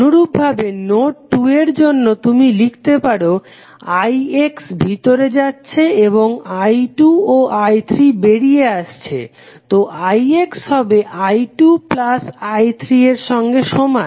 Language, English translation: Bengali, Similarly for node 2, you can write i X is going in and i 2 and i 3 are going out, so i X would be equal to i 2 plus i 3, what is i X